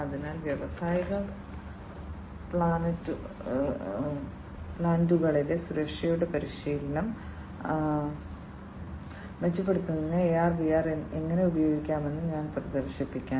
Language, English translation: Malayalam, So, I will showcase how AR VR can be used to improve the training of safety in industrial plants